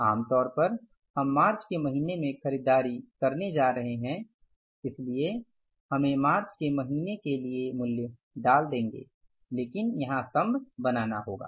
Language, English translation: Hindi, Normally we are going to purchase in the month of March so we will put the value there against the month of March but column has to be here